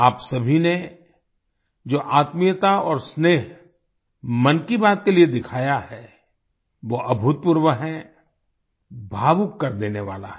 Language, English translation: Hindi, The intimacy and affection that all of you have shown for 'Mann Ki Baat' is unprecedented, it makes one emotional